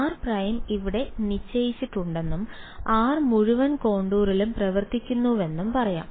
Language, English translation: Malayalam, Let us say r prime is fixed over here and r is running over the entire contour